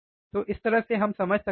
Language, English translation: Hindi, So, this is how we can understand